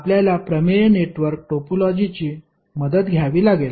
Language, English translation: Marathi, You have to take the help of theorem network topology